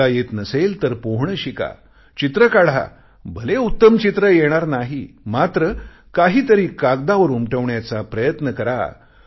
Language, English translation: Marathi, If you don't know how to swim, then learn swimming, try doing some drawing, even if you do not end up making the best drawing, try to practice putting hand to the paper